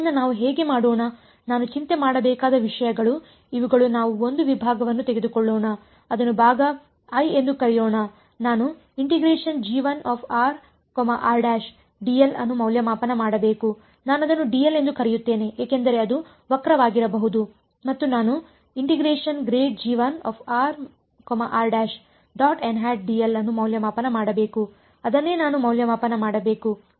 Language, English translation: Kannada, So, let us so, these are the things that I have to worry about let us take a segment let us call it segment i, I have to evaluate g 1 r r prime d r or I just call it d l because it may be curved and I have to evaluate grad g 1 r r prime n hat d l that is what I have to evaluate